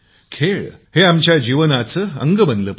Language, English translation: Marathi, Sports should become a part of our lives